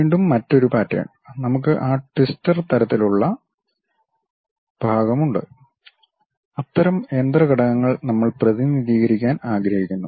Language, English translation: Malayalam, And again another pattern and we have that twister kind of portion, such kind of machine element we would like to really represent